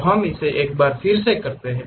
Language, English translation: Hindi, So, let us do it once again